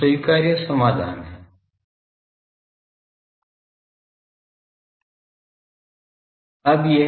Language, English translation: Hindi, So, acceptable solution is, ok